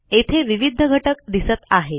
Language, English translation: Marathi, Notice the various elements here